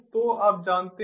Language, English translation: Hindi, so this you know